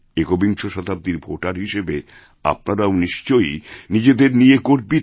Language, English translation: Bengali, As voters of this century, you too must be feeling proud